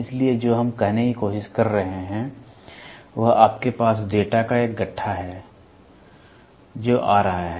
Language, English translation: Hindi, So, what we are trying to say is you have a bundle of data which is coming